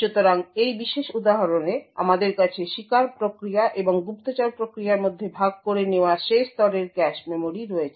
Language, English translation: Bengali, So in this particular example we have the last level cache memory shared between the victim process and the spy process